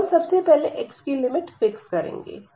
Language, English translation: Hindi, So, the we will fix first the limit of x